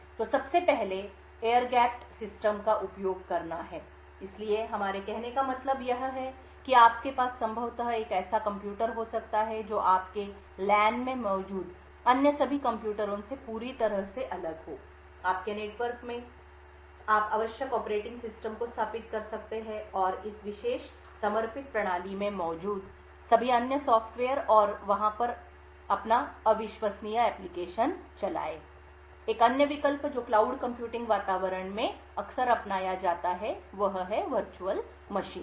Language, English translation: Hindi, So the first is to use air gapped systems, so what we mean by this is that you could possibly have a computer which is totally isolated from all the other computers present in your LAN, in your network, you can install the required operating systems and all other software present in this special dedicated system and run your untrusted application over there, another option which is adopted quite often in cloud computing environments is to have Virtual Machines